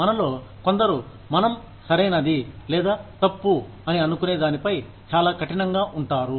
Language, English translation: Telugu, Some of us, are very rigid, on what we think is, right or wrong